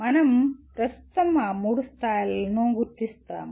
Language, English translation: Telugu, We will presently identify those three levels